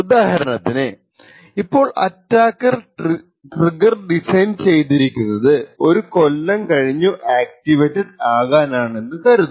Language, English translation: Malayalam, For example, let us say that the attacker has designed the hardware trigger so that it gets activated after a year